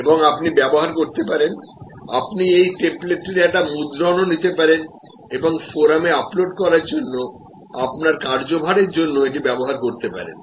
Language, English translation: Bengali, And you can use, you can take a print out of this template and use it for your assignment for uploading on to the forum